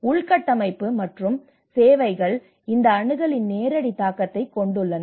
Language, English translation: Tamil, Infrastructure and services and how it have a direct implication of these access